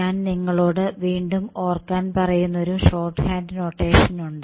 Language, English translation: Malayalam, There is one short hand notation which I will ask you to recall